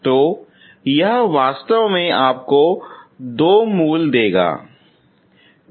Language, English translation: Hindi, So that is actually will give you two roots